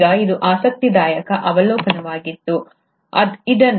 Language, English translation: Kannada, Now this was an interesting observation, which was made by J